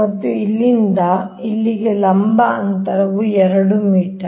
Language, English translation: Kannada, and from here to here vertical distance is two metre